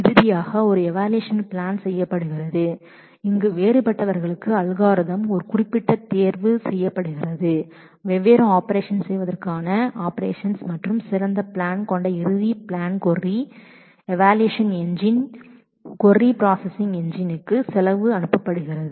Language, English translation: Tamil, And finally, an evaluation plan is made where specific choice is made for the different algorithms for doing different operations and that final plan which is which has the best cost is passed on to the query processing engine to query evaluation engine